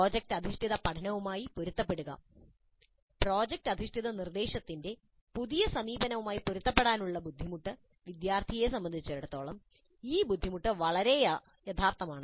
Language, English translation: Malayalam, Then adapting to project based learning, difficulty in adapting to the new approach of project based instruction for students, this difficulty can be very real